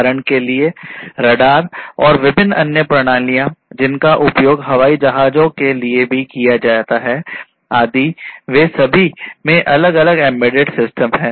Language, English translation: Hindi, For example, the radar and different other you know systems that are used even the aircrafts etcetera; they are all having different embedded systems in them